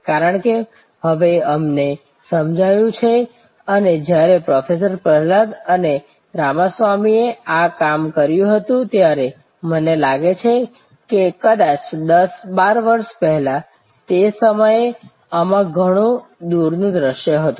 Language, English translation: Gujarati, Because, now we realize and when Professor Prahalad and Ramaswamy did this work I think maybe 10, 12 years back at that time there was lot of far sight in this